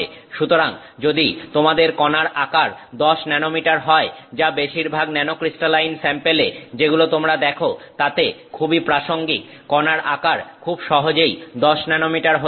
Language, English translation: Bengali, So, if you have a 10 nanometer particle size which is very likely in many nanocrystaline samples that you see the particle size could easily be 10 nanometers